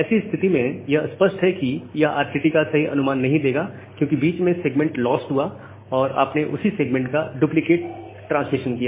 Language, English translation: Hindi, Now, if that is the case, then this will; obviously, not give you an estimation of the RTT because in between the segment got lost and you have made a duplicate transmission of the same segment